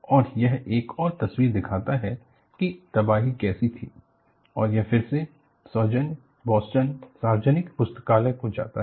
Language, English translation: Hindi, And, this shows another picture of how the devastation was and this is again, the courtesy goes to Boston public library